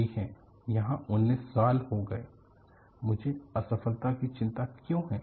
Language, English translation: Hindi, Fine, it has come for 19 years;why do I worry about the failure